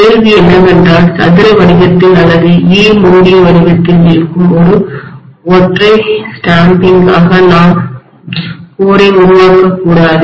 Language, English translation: Tamil, The question was, why don’t we make the core as one single stamping which is in square shape or in E closed shape